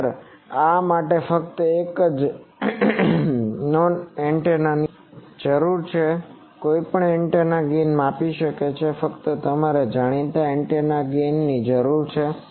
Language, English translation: Gujarati, Actually this requires only one unknown antenna any antennas gain can be measured; only you require a known gain antenna